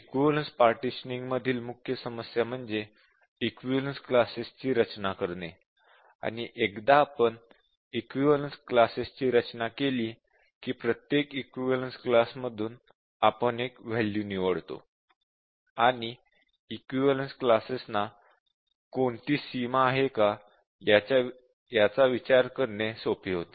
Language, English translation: Marathi, We are saying that the main problem here in equivalence partitioning is to design the equivalence classes, and once we have designed the equivalence classes, it is straight forward to choose one value from each equivalence class, and also to consider if the equivalence classes have any boundary